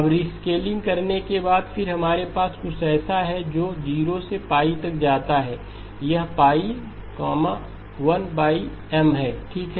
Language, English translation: Hindi, Now after doing the rescaling then what we have is something that goes from 0 to pi, this is pi, 1 over M okay